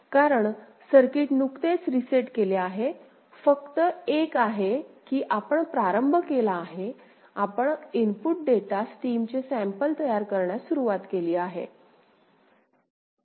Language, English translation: Marathi, Because the circuit is just reset, is just you have begun, you have begun to sample the input data stream ok